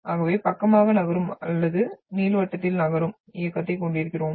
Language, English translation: Tamil, So either we are having the motion which is side by side which moves or it is moving in elliptical